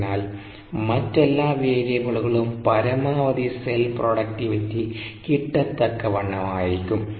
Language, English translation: Malayalam, so all the other variables should also correspond to the maximum productivity variables